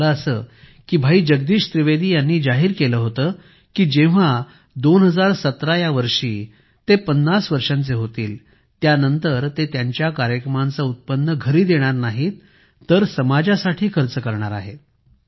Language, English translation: Marathi, It so happened that once Bhai Jagdish Trivedi ji said that when he turns 50 in 2017, he will not take home the income from his programs but will spend it on society